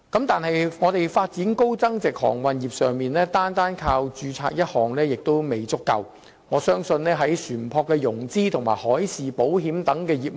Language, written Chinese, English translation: Cantonese, 但是，香港在發展高增值航運業上，單靠註冊一項並不足夠，我們亦應重視船舶的融資和海事保險等業務。, However in respect of the development of the high value - added maritime services industry ship registration alone is not enough . We should also develop the industries of ship financing and marine insurance etc